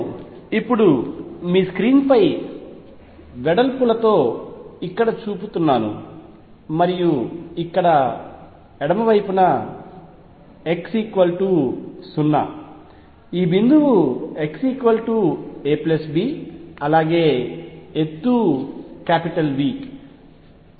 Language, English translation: Telugu, What I am showing now on your screen with widths being a here and b here on the left is x equals 0, this point is x equals a plus b the height is V